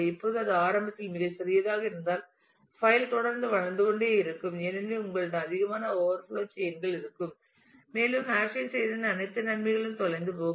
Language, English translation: Tamil, Now if it is initially too small then the file keeps on growing the performance will degrade because you will have too many overflow chains and if the all advantages of having done the hashing will get lost